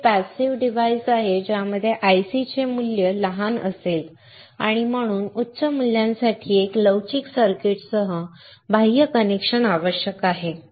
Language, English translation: Marathi, Next one is passive components with the ICs will have a small value and hence an external connection is required with one flexible circuit for higher values